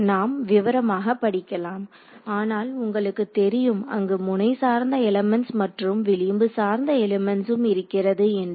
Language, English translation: Tamil, So, we will we will studied in detail, but you should know that there are node based elements and edge based elements